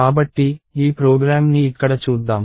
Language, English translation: Telugu, So, let us look at this program here